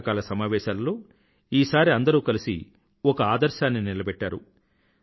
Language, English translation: Telugu, In the Monsoon session, this time, everyone jointly presented an ideal approach